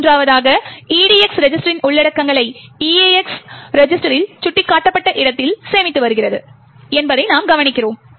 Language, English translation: Tamil, Third, we note that we are storing contents of the EDX register into the location pointed to by the EAX register